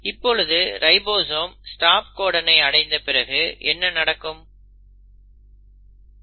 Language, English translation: Tamil, Now this keeps on happening till the ribosome encounters the stop site